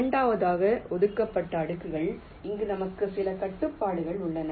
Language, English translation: Tamil, the second one is the reserved layers, where we have some restrictions